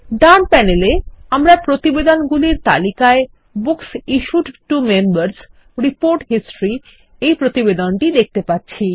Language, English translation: Bengali, On the right panel, we see the Books Issued to Members: Report History report in the reports list